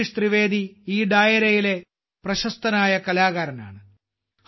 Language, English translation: Malayalam, Bhai Jagdish Trivedi ji is a famous artist of this Dairo